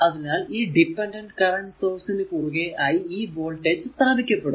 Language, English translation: Malayalam, So, same voltage will be impressed across this your this your dependent current source